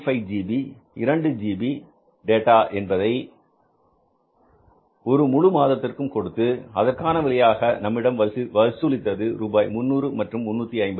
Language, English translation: Tamil, 2gb data for the whole of the month and the price of that was somewhere 300 and 350 rupees